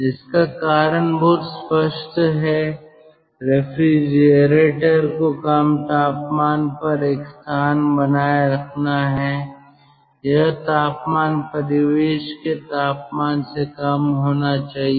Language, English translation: Hindi, the logic is very clear: refrigerator has to maintain a space at a low temperature and the temperature should be lower than that of the ah ambient temperature